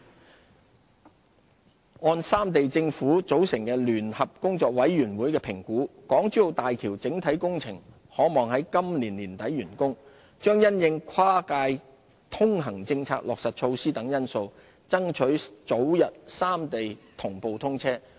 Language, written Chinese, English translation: Cantonese, 航空業按三地政府組成的聯合工作委員會的評估，港珠澳大橋整體工程可望於今年年底完工，將因應跨界通行政策落實措施等因素，爭取早日三地同步通車。, Based on the assessment by the Joint Works Committee of the Three Governments the three sides will strive to complete the construction of the entire Hong Kong - Zhuhai - Macao Bridge HZMB project by the end of this year for early simultaneous commissioning subject to factors such as the implementation of cross - boundary transport arrangements